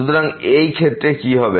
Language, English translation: Bengali, So, in this case what will happen